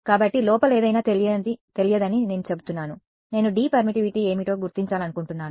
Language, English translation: Telugu, So, I am saying anything inside D is unknown I want to determine what is the permittivity